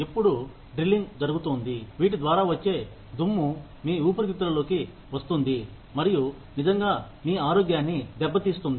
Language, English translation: Telugu, When there is drilling going on, all of this, the dust that comes in, gets into your lungs, and really damages your health